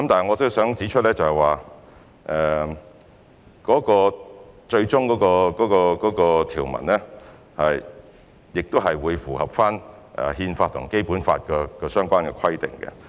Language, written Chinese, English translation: Cantonese, 我想指出，最終的條文會符合《憲法》及《基本法》相關的規定。, Let me say that the final provisions will comply with the relevant requirements of the Constitution and the Basic Law